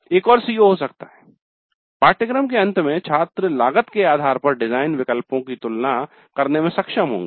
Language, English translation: Hindi, Another CO2 may be at the end of the course students will be able to compare design alternatives based on cost